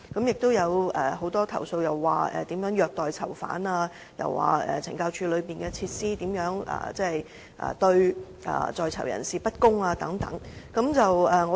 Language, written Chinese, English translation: Cantonese, 又有很多虐待囚犯的投訴，指控懲教單位內設施對在囚人士不公等。, There are also many complaints about maltreatment of PICs and accusations that the facilities in correctional institutions are unfair to PICs